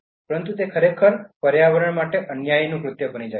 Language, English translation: Gujarati, But it is actually causing environmental injustice